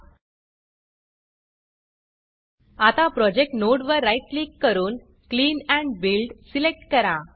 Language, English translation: Marathi, Now right click on the Project node, and select Clean Build